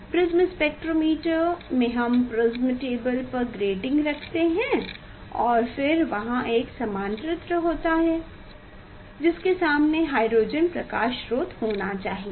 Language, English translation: Hindi, in spectrometer in prism spectrometer we put grating on the prism table and then there is a collimators in front of collimator there is a there should be source of hydrogen light